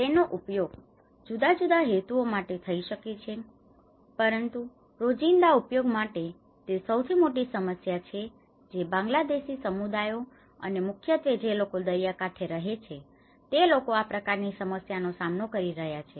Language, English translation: Gujarati, It can be used for different purposes you know but for a daily needs, you know this is one of the important problem which the Bangladeshi community especially the people who are living in the coastal areas they have come across with this kind of problems